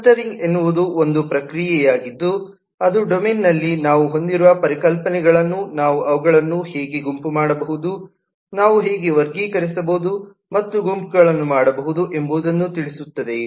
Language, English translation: Kannada, the clustering is the process by which that you say that, given all the different concepts that we have in the domain, how can we group them together